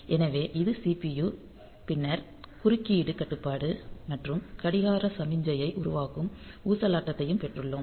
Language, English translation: Tamil, So, in the we have got this CPU then the interrupt control and the oscillator that will be generating the clock signal